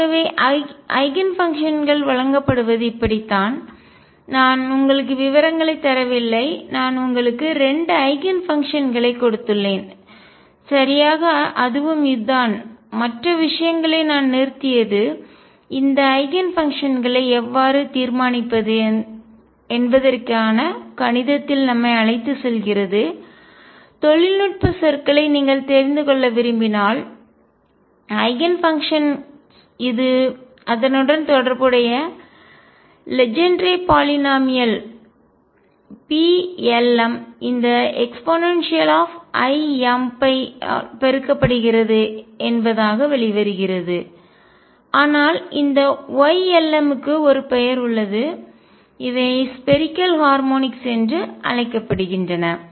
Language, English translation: Tamil, So, this is how the Eigenfunctions are given I have not given you details, I have just given you 2 Eigen functions right and that us, what it is this is where we stopped other things take us into mathematics of how to determine these Eigen functions, if you want to know the technical terms the Eigenfunctions comes out come out to be the associated Legendre polynomials P l ms multiplied by this these e raise to i m phi, but the Y l ms is have a name these are known as a spherical harmonics